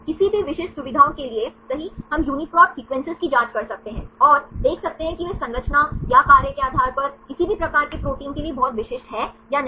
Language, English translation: Hindi, Right for any specific features we can check the UniProt sequences and see whether they’re very specific for any type of proteins based on structure or function